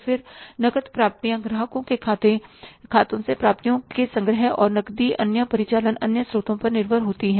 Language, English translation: Hindi, Then cash receipts depend on collections from the customers' accounts, receivables and cash sales and on the other operating income sources